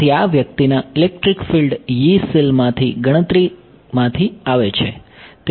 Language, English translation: Gujarati, So, these guys electric fields they are coming from the calculation from the Yee cells